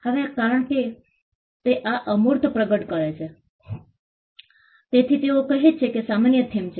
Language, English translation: Gujarati, Now, because it manifests on intangibles this, they say is the common theme